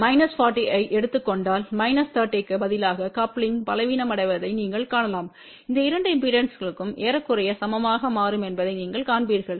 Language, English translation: Tamil, And you can see that as the coupling becomes weak ok instead of minus 30 if we take minus 40 you will see that these two impedances will become approximately equal